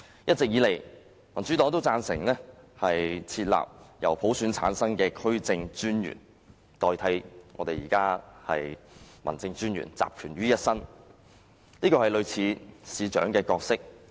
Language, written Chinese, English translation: Cantonese, 一直以來，民主黨都贊成設立由普選產生的區政專員代替現時集權於一身的民政專員，這是類似市長的角色。, The Democratic Party has all along agreed with the introduction of a mayor - like District Commissioner returned by universal suffrage in place of the current District Officer who holds all powers